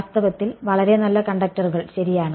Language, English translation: Malayalam, In fact, very good conductors ok